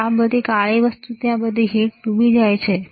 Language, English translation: Gujarati, This all black thing there all heat sinks, all right